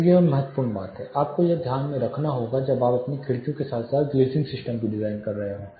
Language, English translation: Hindi, So, this is a crucial thing you have to keep in mind when you are designing you are windows as well as glazing system